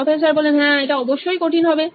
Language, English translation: Bengali, Yes, that will definitely be difficult